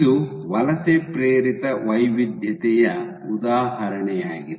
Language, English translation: Kannada, So, this is an example of migration induced heterogeneity